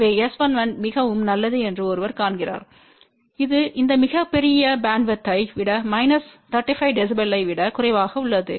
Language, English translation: Tamil, So, one see that S 1 1 is very good it is less than minus 35 db over this very large bandwidth